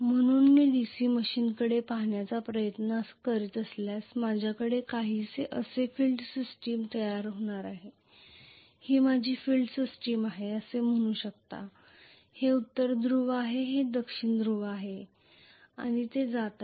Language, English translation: Marathi, So if I try to look at the DC machine I am going to have the field system somewhat like this, this is my field system you can say may be this is north pole this is going to be south pole and it is going to actually be the stator